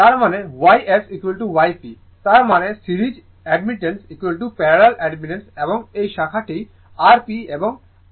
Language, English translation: Bengali, That means, Y S is equal to Y P; that means, series admittance is equal to parallel admittance and this branch is R P and X P